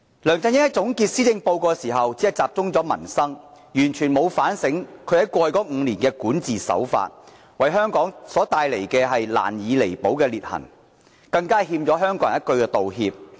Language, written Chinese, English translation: Cantonese, 梁振英在總結施政報告時只集中討論民生，完全沒有反省他在過去5年的管治手法，為香港帶來難以彌補的裂痕，更欠香港人一句道歉。, LEUNG Chun - ying only focused his speech on the peoples livelihood when concluding his Policy Address without introspecting any of the irreconcilable contradictions brought by his governance in the last five years . He owes Hong Kong people an apology